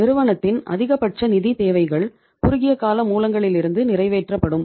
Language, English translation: Tamil, Most of the financial requirements of the firm will be fulfilled from the short term sources